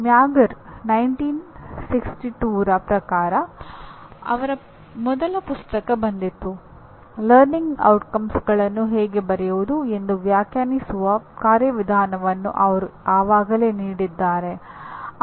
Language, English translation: Kannada, As you can see as per Mager 1962 where his first book came; they already gave a mechanism of defining how to write a learning outcome or he called it instructional objective